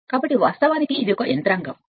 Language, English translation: Telugu, So, this is actually what you call this mechanism